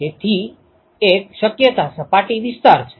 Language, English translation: Gujarati, So, one possibility is surface area